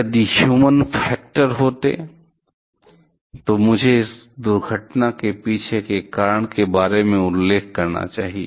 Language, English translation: Hindi, The if there were human factor, that I must mention about the reason behind this accident